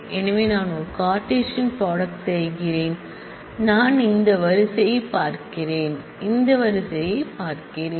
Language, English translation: Tamil, So, I am doing a Cartesian product I am looking at this row I am looking at this row